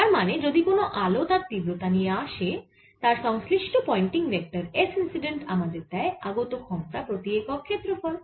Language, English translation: Bengali, so that means, if there is some intensity coming in some pointing vector, s incident pointing vector gives you the amount of power coming per unit area